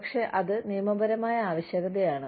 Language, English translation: Malayalam, But, it is a legal requirement